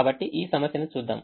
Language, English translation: Telugu, so let's look at this problem